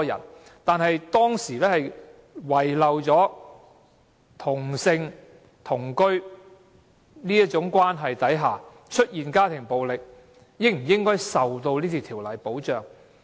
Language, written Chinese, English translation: Cantonese, 惟當時的討論遺漏了在同性同居關係下出現的家庭暴力，應否受到《條例》的保障。, However in our discussion at the time we missed out whether domestic violence in homosexual relationships of cohabitation should be brought under the protection of the Bill